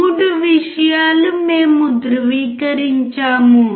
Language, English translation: Telugu, 3 things we are confirmed